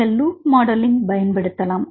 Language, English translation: Tamil, Then you took the loop modelling right